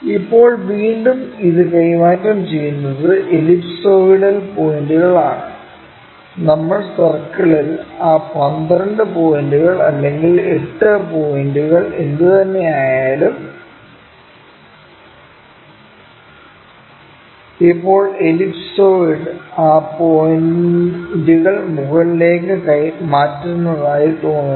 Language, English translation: Malayalam, Now, again transfer this is ellipsoidal the points, whatever those 12 points or 8 points we made on the circle, now it looks like ellipsoid transfer these points all the way up